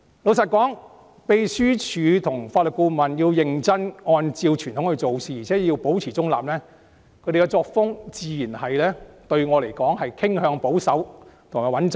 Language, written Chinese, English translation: Cantonese, 老實說，秘書處職員及法律顧問認真按照傳統做事，而且保持中立，他們的作風對我來說自然是傾向保守及穩妥。, Frankly speaking staff of the Secretariat and the Legal Adviser have carried out their jobs seriously following the traditions while upholding impartiality . As far as I am concerned their work style is naturally more on the conservative and safe side